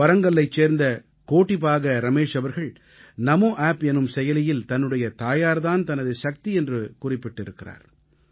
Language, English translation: Tamil, Kodipaka Ramesh from Warangal has written on Namo App"My mother is my strength